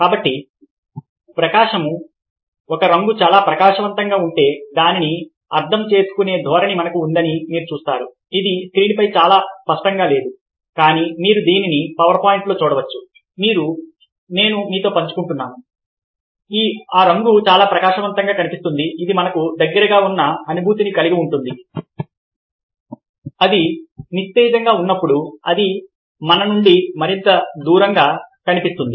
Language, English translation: Telugu, you see that if colour is very bright, we have a tendency to interpret this this is not very clear on the screen, but you can see this on the power point which i will share with you that, ah, when a colour looks very bright, we have a feeling that it is closer to us